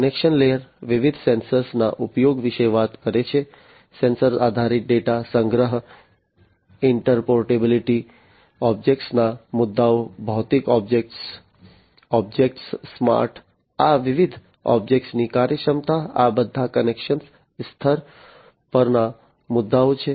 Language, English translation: Gujarati, Connection layer is talking about the use of different sensors, the sensor based data collection, interoperability, issues of objects, physical objects, smart objects, functionality of these different objects, all these are issues at the connection layer